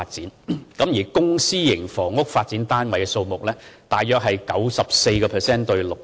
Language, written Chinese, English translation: Cantonese, 至於發展後公私營房屋單位的數目，大約是 94% 比 6%。, Regarding the number of available flats after construction the ratio between public and private housing is about 94 % to 6 %